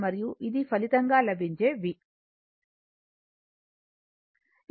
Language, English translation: Telugu, And this is the resultant V right